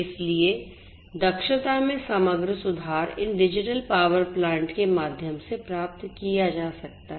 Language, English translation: Hindi, So, overall improvement in efficiency is what can be achieved through these digital power plants